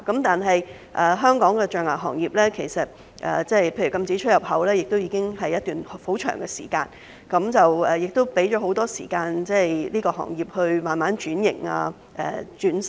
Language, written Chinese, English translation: Cantonese, 但是，就香港的象牙行業而言，例如禁止出入口的措施實施已久，當局亦已給予行業很多時間慢慢轉型、革新等。, However as far as the ivory industry in Hong Kong is concerned measures such as the ban on import and export have been in place for a long time and the authorities have given ample time for it to undergo gradual transformation and reform